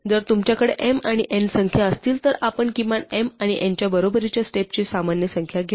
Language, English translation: Marathi, If you had numbers m and n we would take in general number of steps equal to minimum of m and n